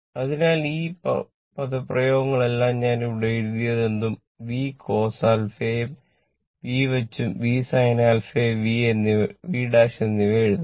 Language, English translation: Malayalam, So, all these expression whatever I have written here V Cos alpha you put v small V and js your sin alpha